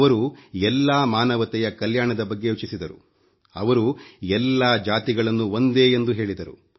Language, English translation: Kannada, He envisioned the welfare of all humanity and considered all castes to be equal